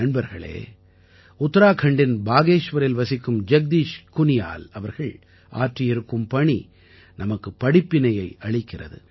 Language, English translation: Tamil, the work of Jagdish Kuniyal ji, resident of Bageshwar, Uttarakhand also teaches us a lot